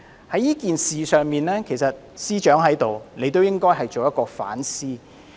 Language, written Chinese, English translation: Cantonese, 在這件事上，政務司司長也應該作出反思。, The Chief Secretary for Administration should also reflect on the issue